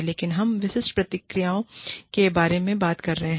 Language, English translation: Hindi, But, we are talking about, the specific procedures